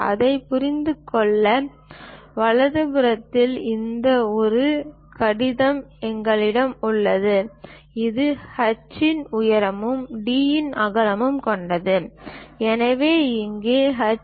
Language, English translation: Tamil, To understand that, in the right hand side, we have this I letter, which is having a height of h and a width of d , so here h is 2